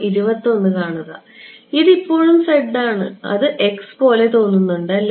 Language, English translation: Malayalam, This is z still; it looks like x is it